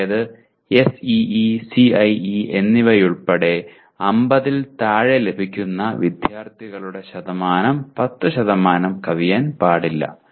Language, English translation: Malayalam, That is including SEE and CIE the number of student or the percentage of students getting less than 50 should not be exceeding 10%